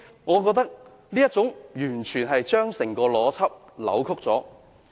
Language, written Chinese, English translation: Cantonese, 我覺得這是完全扭曲了整個邏輯。, I think this is a complete distortion of the whole logic